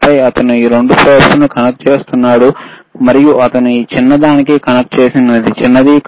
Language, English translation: Telugu, And then he is connecting these 2 probes, and the shorter version shorter one he has connected to this shorter one, right